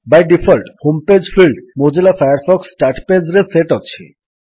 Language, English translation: Odia, By default, the Home page field is set to Mozilla Firefox Start Page